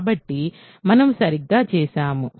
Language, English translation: Telugu, So, we are done right